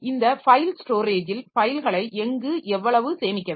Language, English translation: Tamil, Then this file storage, how much where to store the file